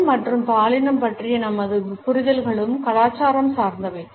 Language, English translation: Tamil, Our understandings of race and gender are also culture specific